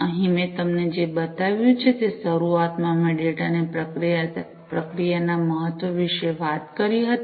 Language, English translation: Gujarati, Here, what I have shown you is initially I talked about the importance of processing of the data